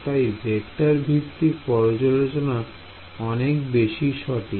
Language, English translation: Bengali, So, vector based formulations are much more accurate